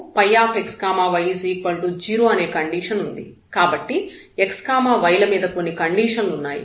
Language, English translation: Telugu, So, there is a restriction on x y